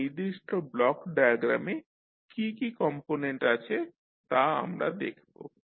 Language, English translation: Bengali, So we will see what are the various components we have in this particular block diagram